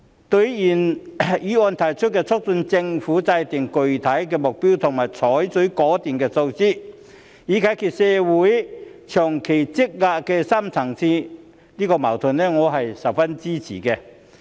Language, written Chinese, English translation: Cantonese, 對於原議案提出促請政府制訂具體目標及採取果斷措施，以解決香港社會長期積累的深層次矛盾，我是十分支持的。, I am very supportive of the original motion which urges the Government to formulate specific targets and adopt decisive measures to resolve the long - standing deep - seated conflicts in the Hong Kong community